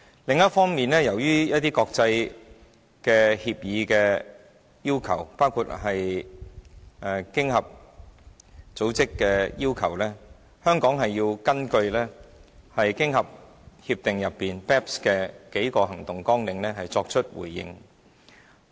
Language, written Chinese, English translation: Cantonese, 另一方面，由於一些國際協議的要求，包括經合組織的要求，香港要根據經合協定就 BEPS 的數個行動計劃，作出回應。, On the other hand in the light of the requirements of some international agreements including the OECD requirement Hong Kong has to respond to the OECD agreement and implement several actions under the base erosion and profit shifting BEPS package